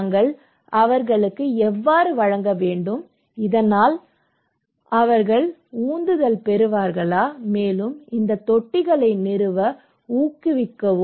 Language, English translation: Tamil, And how we should provide to them, so that they would be motivated, encourage to install these tanks